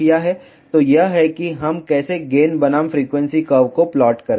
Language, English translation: Hindi, So, this is how we plot the gain versus frequency curve